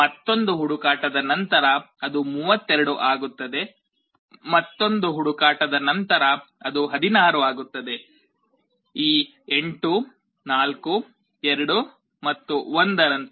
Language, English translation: Kannada, After another search, it becomes 32, after another search it becomes 16, like this 8 4 2 and 1